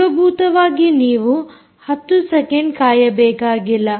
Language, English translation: Kannada, essentially you do it for ten seconds